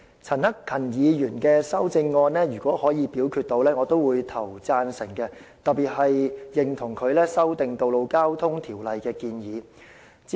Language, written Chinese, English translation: Cantonese, 陳克勤議員的修正案，如果能夠進行表決，我也會投贊成票，我特別認同他修訂《道路交通條例》的建議。, If Mr CHAN Hak - kans amendment is put to vote later I will also vote in favour of it . In particular I agree with his proposal to amend the Road Traffic Ordinance